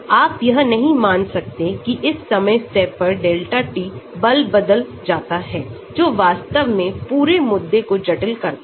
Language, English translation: Hindi, You cannot assume that, during this time step delta t, the force changes that complicates the whole issue actually